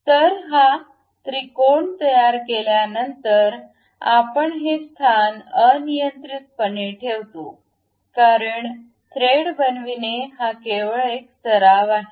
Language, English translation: Marathi, So, after constructing this triangle we arbitrarily place this position because it is just a practice to construct a thread